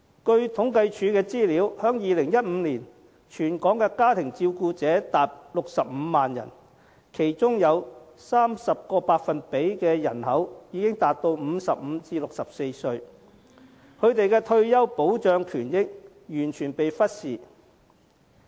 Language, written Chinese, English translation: Cantonese, 根據政府統計處的資料，在2015年，全港家庭照顧者達65萬人，其中有 30% 的人口已達55至64歲，他們的退休保障權益完全被忽視。, According to the statistics published by CSD in 2015 the number of family carers across the territory stood at 650 000 with 30 % of it being people aged between 55 and 64 whose rights and interests in terms of retirement protection have been completely neglected